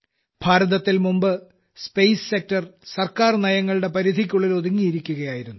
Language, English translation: Malayalam, Earlier in India, the space sector was confined within the purview of government systems